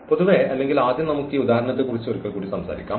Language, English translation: Malayalam, In general, or first let us talk about this example once again